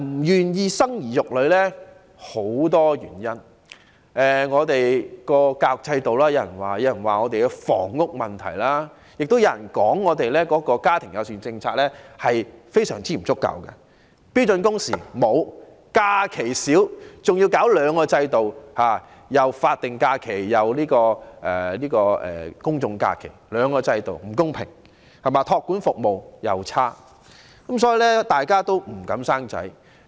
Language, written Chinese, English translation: Cantonese, 原因有許多，有說是因為我們的教育制度不可靠，有人認為是房屋問題，亦有人認為是因為香港的家庭友善政策非常不足，沒有訂定標準工時、假期少兼且法定假期與公眾假期之間的差異造成不公平，而且託兒服務差勁，所以大家也不敢生小孩。, There are many reasons for this . Some people say that it is because our education system is unreliable while others are of the view that it is due to the housing problem and some attribute this to the inadequacy of family - friendly policies in Hong Kong no standard working hours; few holidays with a unfair discrepancy between statutory holidays and public holidays; and poor child care services . Thus people dare not have children